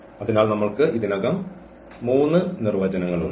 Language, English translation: Malayalam, So, we have already 3 definitions so far